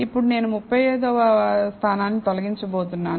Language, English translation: Telugu, Now, I am going to remove the 35th